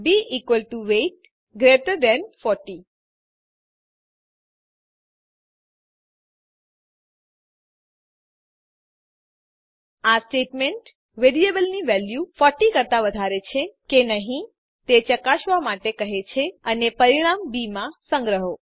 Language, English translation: Gujarati, b equal to weight greater than 40 This statement says check if the value of variable is greater than 40 and store the result in b Now Let us print the value of b